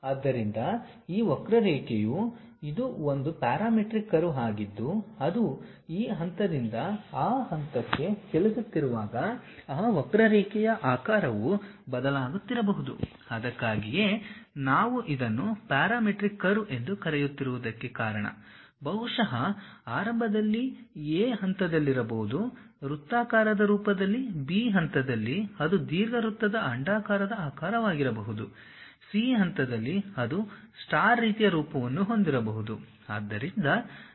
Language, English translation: Kannada, So, this curve it is a parametric curve as it is moving from this point to that point, the shape of that curve might be varying that is the reason what we why we are calling it as parametric curve maybe initially at point A it might be in circular format; at point B it might be ellipse elliptical kind of shape; at point C it might be having something like a star kind of form and so on